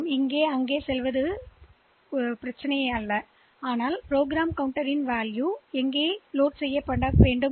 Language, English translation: Tamil, So, going from here to hear is not a problem, because I can just load the program counter with the value of this address